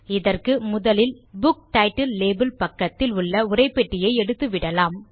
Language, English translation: Tamil, For this, let us first remove the text box adjacent to the Book Title label